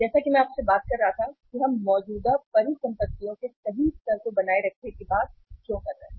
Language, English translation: Hindi, As I was talking to you that why we are talking of maintaining the optimum level of current assets right